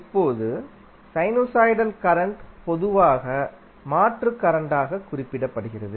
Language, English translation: Tamil, Now, sinusoidal current is usually referred to as alternating current